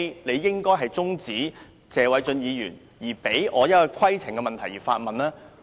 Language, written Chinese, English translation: Cantonese, 你應該先停止謝偉俊議員的發言，讓我提出規程問題。, You should have stopped Mr Paul TSE from speaking and let me raise my point of order